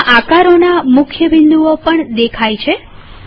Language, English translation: Gujarati, All key points of all objects also appear